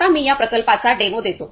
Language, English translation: Marathi, Now, I will give the demo about this project